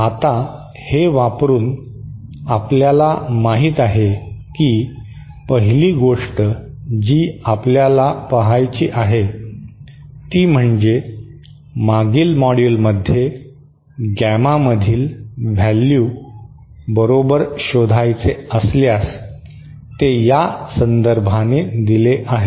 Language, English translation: Marathi, Now, using this, as you know, 1st thing that we have to see is if we want to find out the value of gamma in, gamma in in the previous module we saw was equal to, was given by this relationship